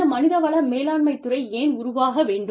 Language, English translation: Tamil, Why does this field of human resource management, need to evolve